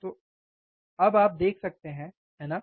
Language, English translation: Hindi, So, you could see now, right